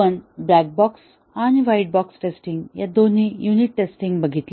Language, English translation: Marathi, And then, later we looked at unit testing, both black box and white box testing